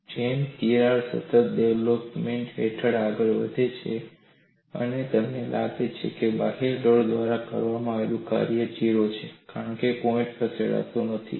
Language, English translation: Gujarati, Watch the animation as the crack advances under constant displacement, and you find the work done by the external load is 0 because the points do not move